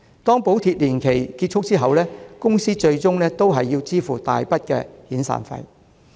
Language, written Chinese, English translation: Cantonese, 當補貼年期結束後，公司最終也要支付一大筆遣散費。, When the subsidy period expires companies will have to fork out huge sums for severance payments eventually